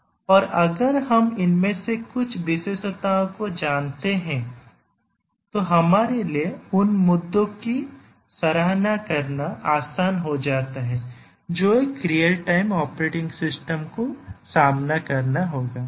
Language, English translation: Hindi, And if we know some of the characteristics of these it becomes easier for you, for us to appreciate the issues that a real time operating system would have to face